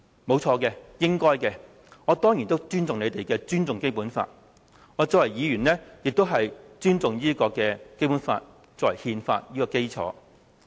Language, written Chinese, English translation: Cantonese, 不錯，這是應該的，我當然也尊重《基本法》，我身為議員，也尊重《基本法》作為憲法的基礎。, Yes they should do so . I likewise respect the Basic Law that is for sure . As a Member I also respect the Basic Law as our constitutional basis